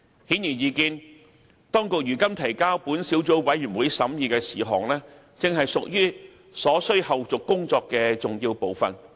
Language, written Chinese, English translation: Cantonese, 顯而易見，當局如今提交本小組委員會審議的事項，正屬於所需後續工作的重要部分。, Apparently the matters currently brought forth by the authorities to this Subcommittee for scrutiny are an important part of the necessary follow - up work to be done